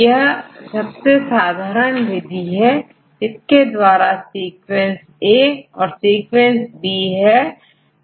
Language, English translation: Hindi, It is one of the simplest methods because we have the sequence A and sequence B